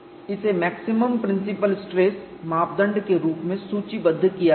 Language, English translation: Hindi, So, that is why this is put as maximum principle stress criterion